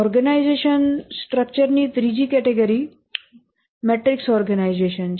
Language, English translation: Gujarati, The third category of organization structure is the matrix organization